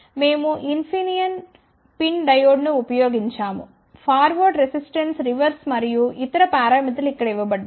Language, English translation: Telugu, We have used Infineon pin diode the forward resistance reverse and other parameters are given over here